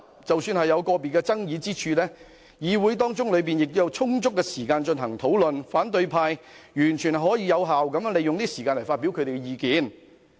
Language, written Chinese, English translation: Cantonese, 即使有個別爭議之處，議會亦有充足時間進行討論，反對派完全可以有效利用會議時間發表意見。, Even if there are some individual controversial issues there is sufficient time for discussion in the Council . The opposition camp has every opportunity to express their views by making efficient use of the meeting time